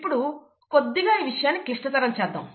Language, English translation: Telugu, Now, let us complicate things slightly